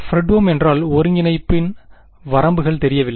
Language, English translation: Tamil, Fredholm, because the limits of integration unknown